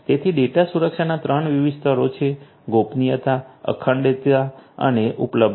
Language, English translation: Gujarati, So, these are the three different layers of data protection confidentiality, integrity and availability